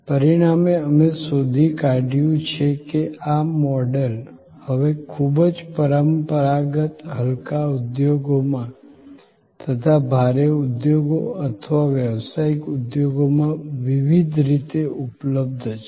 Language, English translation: Gujarati, As a result, we find that, this model is now available in number of different ways in very traditional light industries as well as having heavy industries or professional industries